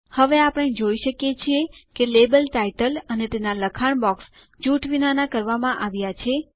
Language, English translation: Gujarati, Now we see that the label title and its text box have been ungrouped